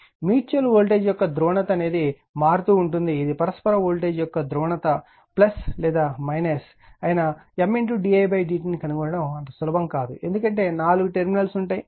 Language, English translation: Telugu, Now, the polarity of mutual voltage this is very this is the only thing we have to see the polarity of mutual voltage whether it is plus or minus M d i by d t is not easy to determine , because 4 terminals are involved right